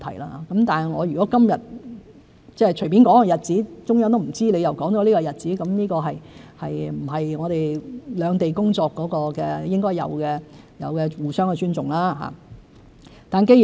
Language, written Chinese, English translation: Cantonese, 如果我今天隨便說一個日子，而中央對所說日子毫不知情，這並不是我們兩地工作應有的互相尊重。, If I casually mention a date today and the Central Authorities have no knowledge about it this is not the form of mutual respect that we should have for work of the two places